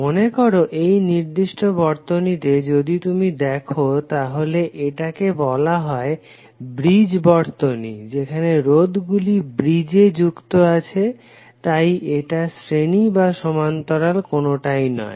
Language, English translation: Bengali, Say in this particular circuit if you see the circuit is called a bridge circuit where the resistances are connected in bridge hence this is not either series or parallel